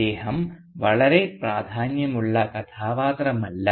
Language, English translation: Malayalam, He is not a very significant character